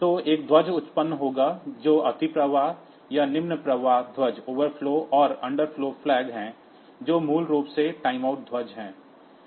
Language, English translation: Hindi, So, one flag will be generated which is overflow or underflow flag, which is basically the timeout flag